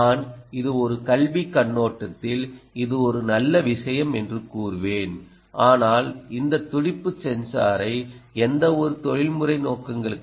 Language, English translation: Tamil, i would say it is a very nice thing from an academic perspective, but i don't think you should ah use this particular pulse sensor for any professional purposes